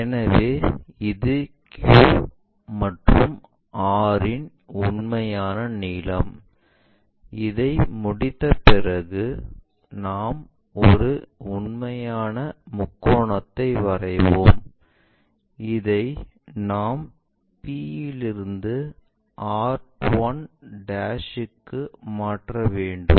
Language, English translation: Tamil, So, this is true length of our Q point Q to r, once it is done we will draw an actual triangle, so we have to transfer this one to locate from p point r 1'